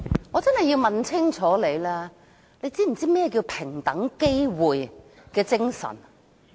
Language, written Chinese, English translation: Cantonese, 我真的要問清楚，你可知何謂平等機會精神？, I really must seek a clarification . Do you know what it means by the spirit of equal opportunities?